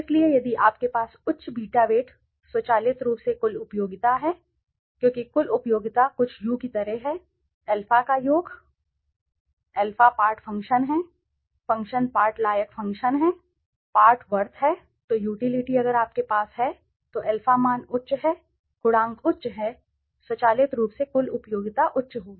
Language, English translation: Hindi, So, if you have the higher beta weights automatically the total utility, because the total utility is something like u = summation of alpha, alpha is the part function, is the part part worth function, part worth so if you have the utility if your alpha values are high the coefficients are high automatically the total utility will be high